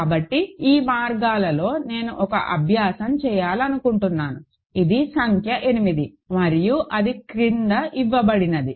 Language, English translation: Telugu, So, along these lines I want to do one exercise, which is number 8 and that is the following